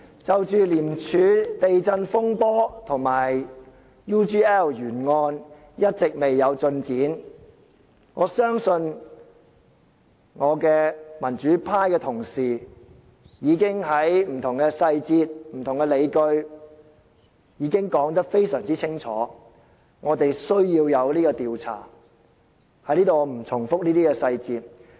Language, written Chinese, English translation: Cantonese, 就着廉政公署"地震"風波和 UGL 懸案一直未有進展，我相信我的民主派同事已經在不同細節和不同理據上說得非常清楚，有需要進行調查，我在此不再重複這些細節。, As regards the earthquake of ICAC and the UGL case which have been lacking of progress in our questioning I believe that my colleagues from the democratic camp have already stated very clearly in respect of different details and justifications that an investigation is necessary and thus I will not dwell on these details here